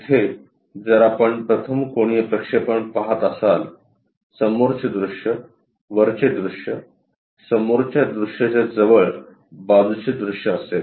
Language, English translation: Marathi, Here if you are say seeing the first one, for first angle projection, the front view, the top view, next to front view, we will have a side view